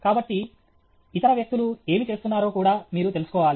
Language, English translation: Telugu, So, you should know what other people are doing also